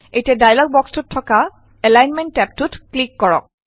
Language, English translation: Assamese, Now click on the Alignment tab in the dialog box